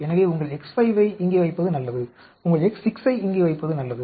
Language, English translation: Tamil, So, it is a good idea to put your X5 here, it is a good idea to put your X 6 here